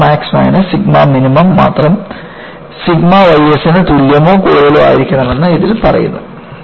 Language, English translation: Malayalam, It says only sigma max minus sigma minimum, is greater than equal to sigma y s